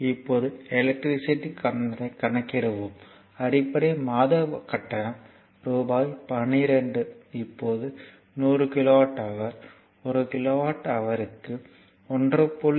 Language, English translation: Tamil, Now, we have to calculate the electricity bill so, base monthly charge is rupees 12 now 100 kilowatt hour at rupees 1